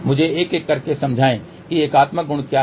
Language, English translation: Hindi, ah Let me explain one by one what is unitary property